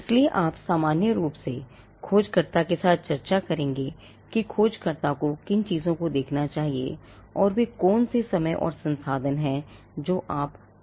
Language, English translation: Hindi, So, you would normally discuss with the searcher as to what are the things that the searcher should look for, and what is the time and resources that you will be putting into the search